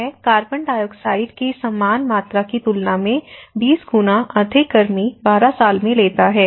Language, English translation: Hindi, So, this takes about 12 years over 20 times more heat than the same amount of CO2